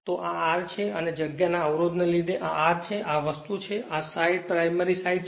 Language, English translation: Gujarati, So, this is my R and because of space constraint so, this is my R and this is your this thing this side is a primary side right